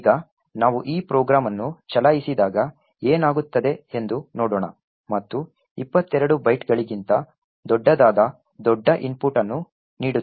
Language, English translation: Kannada, Now let us see what would happen when we run this program and give a large input which is much larger than 22 bytes